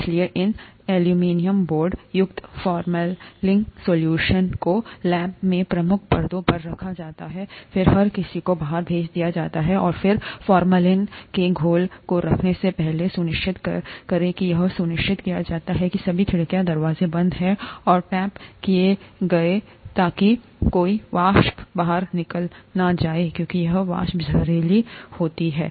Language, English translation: Hindi, So these aluminum boards containing formalin solutions are placed in key positions in the lab, then everybody is sent out, and before you place the formalin solution, make sure that it is made sure that all the windows and doors are shut and taped so that no vapor escapes out, because this vapor is poisonous